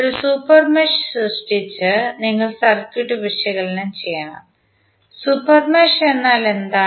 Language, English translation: Malayalam, You have to analyze the circuit by creating a super mesh, super mesh means